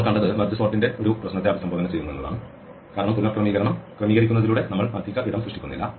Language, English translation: Malayalam, What we saw is it addresses one of the issues with merge sort because by sorting the rearranging in place we do not create extra space